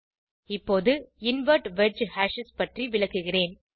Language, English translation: Tamil, Now I will explain about Invert wedge hashes